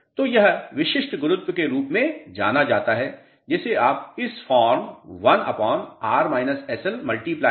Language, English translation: Hindi, So, this is known as a specific gravity which you can represent in this form 1 upon R minus SL into 100